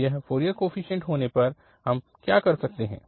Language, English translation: Hindi, And now we will write its Fourier series